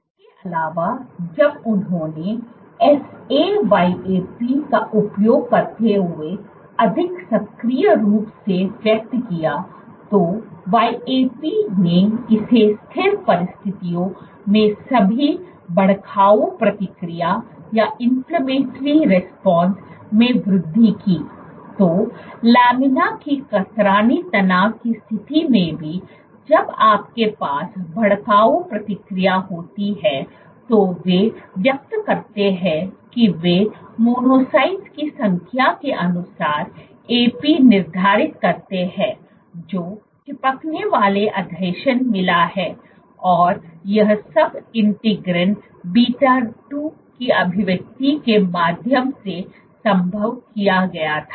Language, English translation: Hindi, Also when they over expressed using SA YAP considerably active YAP this increase the inflammatory response under even under static conditions; So, even under laminar shear stress conditions you had inflammatory response when you over express they saYAP as quantified by the number of monocytes which got adhered adhesion and all of this was made possible via expression of Integrin beta 2